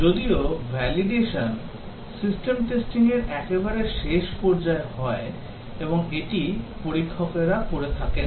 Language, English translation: Bengali, Whereas validation is done at the end in system testing and this is done by the testers